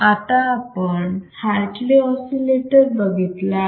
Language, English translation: Marathi, So, what exactly is Hartley oscillator is